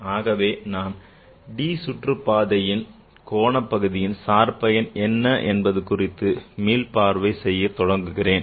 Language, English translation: Tamil, So let me start by recalling what the d orbital angular part of the function is